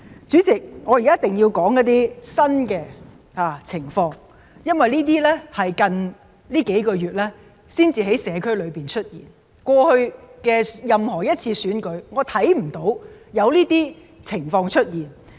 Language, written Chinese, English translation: Cantonese, 主席，我現在一定要指出一些新的情況，因為這是近幾個月才在社區裏出現，我看不到過去任何一次選舉有這些情況出現。, President now I must point out some new situations . It is because they only emerged in the past few months . I am unable to recall if such situations have appeared in the past elections